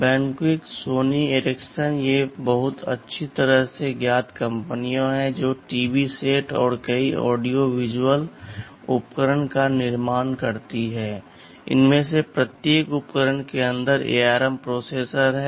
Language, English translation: Hindi, Benq, Sony Ericsson these are very well known companies they who manufacture TV sets and many audio visual other equipments, there are ARM processors inside each of these equipments